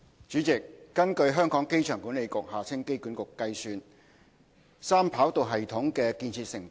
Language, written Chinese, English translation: Cantonese, 主席，根據香港機場管理局估算，三跑道系統的建設成本......, President according to the Airport Authority AA the estimated capital cost for the three - runway system 3RS